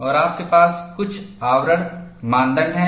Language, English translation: Hindi, And you have certain screening criteria